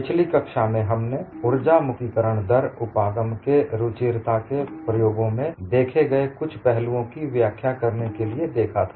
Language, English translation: Hindi, In the last class, we have looked at the elegance of energy release rate approach to explain certain aspects that is seen in the experiments